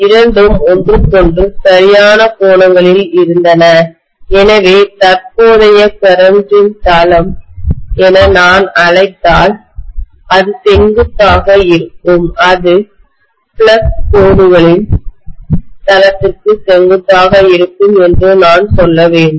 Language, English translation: Tamil, The two will be at right angles to each other stuff so I should say that the plane of the current flow if I may call it, it will be at perpendicular, it will be perpendicular to the plane of the flux lines